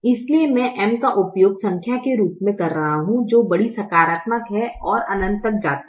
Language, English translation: Hindi, therefore, i am simply using m as a number which is large, positive and tends to infinity